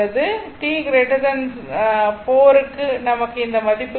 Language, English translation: Tamil, So, you put t is equal to here 4 second